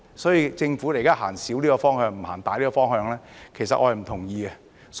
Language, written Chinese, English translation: Cantonese, 所以，政府現在走小的方向，不走大的方向，其實我是不同意的。, Therefore I actually do not agree with the Government moving in a narrower direction rather than a broader direction